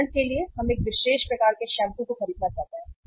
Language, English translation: Hindi, For example we want to buy a shampoo, particular type of the shampoo